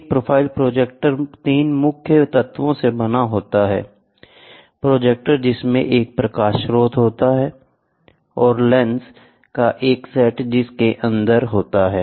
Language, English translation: Hindi, A profile projector is made up of 3 main elements: the projector comprising a light source and a set of lenses housed inside an enclosure